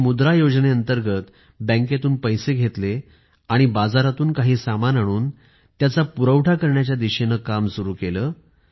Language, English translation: Marathi, She got some money from the bank, under the 'Mudra' Scheme and commenced working towards procuring some items from the market for sale